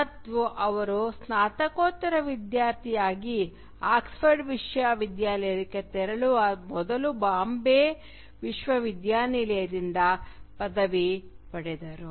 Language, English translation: Kannada, And he did his graduation from the University of Bombay before moving to the University of Oxford as a postgraduate student